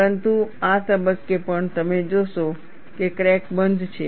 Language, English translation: Gujarati, But even at this stage, you find the crack is closed